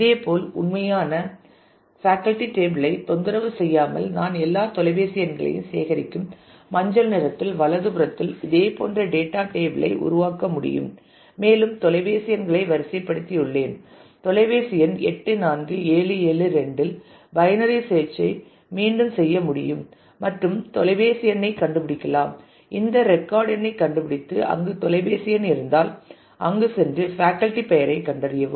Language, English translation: Tamil, Similarly, without disturbing the actual faculty table I can build a similar kind of supportive table on the right the yellow one where I collect all the phone numbers and I have sorted on the phone numbers I can again do binary search on the phone number 84772 and find the phone number find the record number where this phone number occurs and go and find the name of the faculty